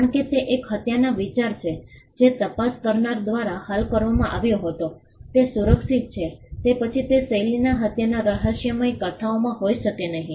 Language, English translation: Gujarati, Because, that is an idea of a murder being solved by an investigator was that is protected then there cannot be any further murder mystery novels in that genres